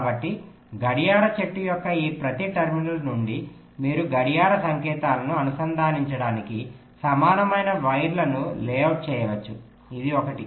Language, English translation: Telugu, so from each of this terminals of the clock tree you can layout equal wires to connect the clock signals